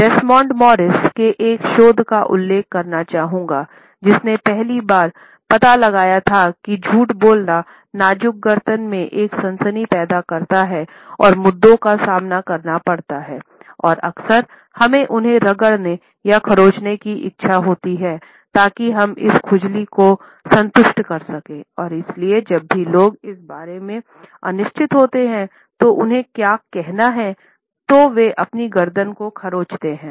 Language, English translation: Hindi, Here, I would like to refer to a research by Desmond Morris, who was the first to discover that lies caused a tingling sensation in the delicate neck and faced issues and often we have an urge to rub or to scratch them so that we can satisfy this itching and therefore, we find that whenever people are uncertain about what they have to say, they scratch their neck